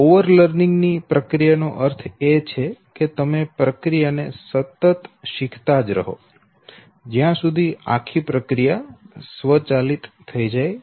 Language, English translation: Gujarati, Now the process of over learning basically means that you keep on keep on keep on repeating it to an extent that the whole process becomes automated, okay